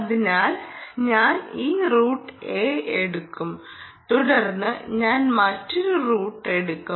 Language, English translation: Malayalam, this is route a, then i will take another route, route b